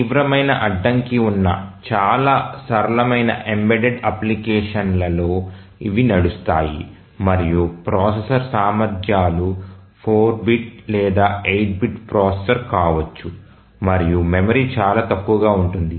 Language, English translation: Telugu, These are run on very simple embedded applications where there is a severe constraint on the processor capabilities, maybe a 4 bit or 8 bit processor and the memory is very, very less